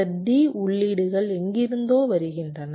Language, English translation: Tamil, and this d inputs are coming from somewhere